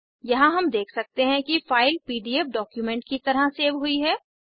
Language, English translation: Hindi, Here we can see the file is saved as a PDF document